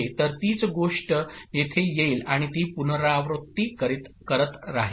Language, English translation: Marathi, So same thing will come over here and it will keep repeating